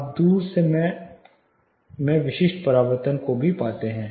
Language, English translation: Hindi, You also find specific late reflections far off